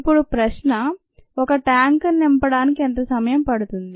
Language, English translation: Telugu, now the question is: how long would it take to fill a tank